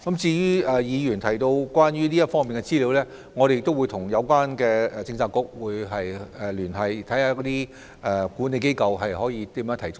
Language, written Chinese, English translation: Cantonese, 至於議員提到的有關方面的資料，我們也會跟相關政策局聯繫，看看如何提供。, As for the relevant information mentioned by the Member we will liaise with the Policy Bureaux concerned to see how it can be provided